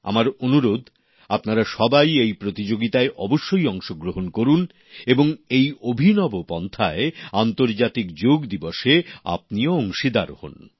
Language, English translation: Bengali, I request all of you too participate in this competition, and through this novel way, be a part of the International Yoga Day also